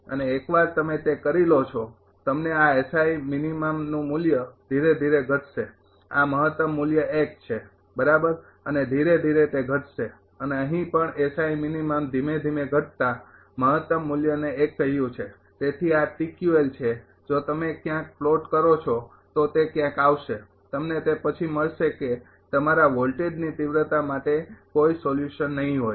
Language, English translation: Gujarati, And once you are doing it that you will find this S I min value gradually will decrease this is the maximum value 1, right and gradually it will decrease and here also S I mean gradually decreasing maximum value is say 1 right therefore, this is TQL if you plot somewhere it will come somewhere you will find after that there will be no solution for your that voltage magnitude